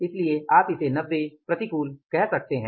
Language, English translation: Hindi, So, this variance is you can call it as 90 as adverse